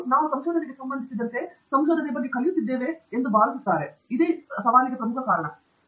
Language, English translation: Kannada, For I think the most important reason for that is also the fact that we are learning about research as we do research; so especially the first time researchers